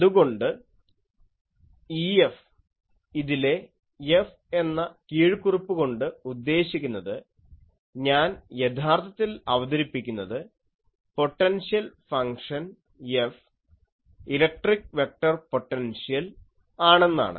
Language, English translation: Malayalam, So, E F, this F subscript means that I will actually introduce the potential function F, electric vector potential, I will define that